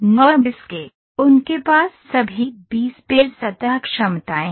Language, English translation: Hindi, NURBS, they have all B spline surface abilities